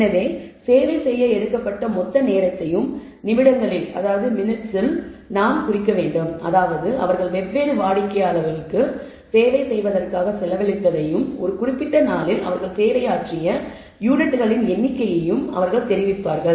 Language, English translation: Tamil, So, they will report the total amount of time taken in minutes let us say for through that they have spent on servicing different customers and the number of units that they have serviced in a given day